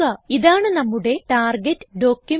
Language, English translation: Malayalam, This is our target document